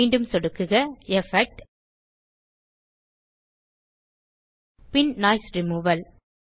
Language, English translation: Tamil, Again, click on Effect gtgt Noise Removal